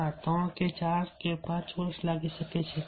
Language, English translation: Gujarati, it may take three years or four years or five years